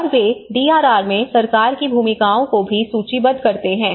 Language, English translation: Hindi, And they also list out the government roles in DRR